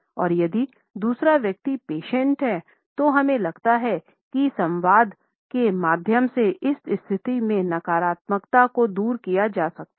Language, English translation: Hindi, And if the other person is patient, we feel that the negativity can be taken away in this position through dialogue